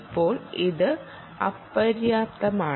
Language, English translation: Malayalam, now, this is insufficient